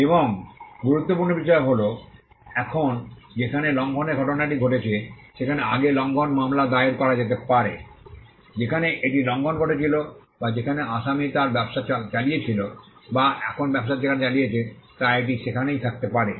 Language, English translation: Bengali, And importantly now an infringement suit can be filed where the plaintiff resides so, earlier it had to be where the infringement occurred or where the defendant resided or carried his business now it could be anywhere where the plaintiff resides